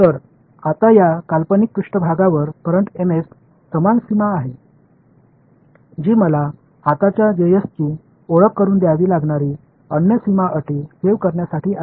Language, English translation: Marathi, So, now, this hypothetical surface has a current M s similarly to save the other boundary condition I will have to introduce the current Js